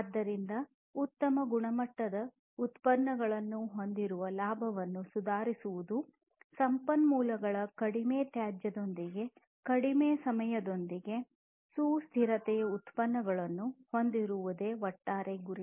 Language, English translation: Kannada, So, improving profits having higher quality products, produced in reduced time with reduced waste of resources is what is the overall goal of sustainability